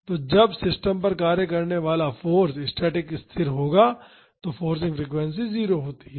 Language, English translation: Hindi, So, forcing frequency is 0 when the force acting on the system is static